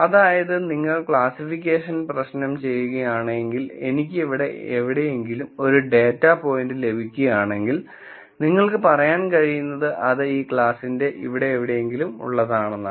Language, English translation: Malayalam, So, if you were to do this classification problem, then what you could say is if I get a data point somewhere here, I could say it belongs to whatever this class is here